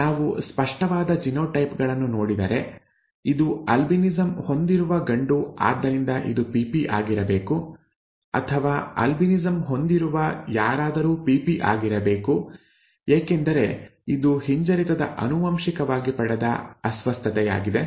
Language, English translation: Kannada, If we look at obvious genotypes, this is a male with albinism therefore it has to be small p small p, or anything with an albinism has to be small p small p because it is a recessively inherited disorder